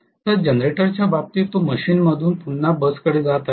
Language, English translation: Marathi, Whereas in the case of the generator it is flowing from the machine back to the bus